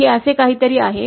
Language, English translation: Marathi, It is something like this